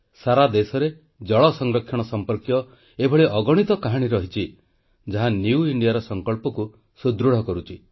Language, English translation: Odia, The country is replete with innumerable such stories, of water conservation, lending more strength to the resolves of New India